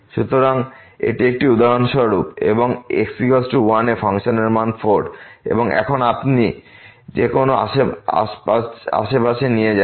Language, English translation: Bengali, So, this is a for instance and at x is equal to 1 the value of the function is 4 and now, you take any neighborhood